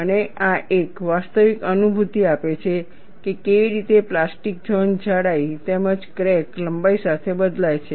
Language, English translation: Gujarati, And this gives a realistic feeling, how the plastic zone varies over the thickness, as well as along the crack length